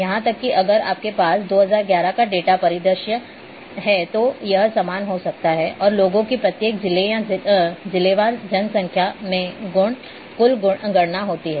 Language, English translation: Hindi, Even if you are having two thousand eleven data scenario might be same and this the total counts in the each district of the people or the population district wise population